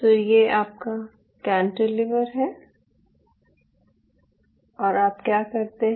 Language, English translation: Hindi, so here you have a cantilever right